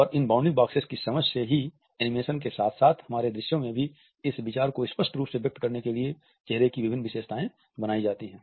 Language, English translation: Hindi, And it is an understanding of these bounding boxes that different facial features are created to visually express this idea in our animations as well as in our visuals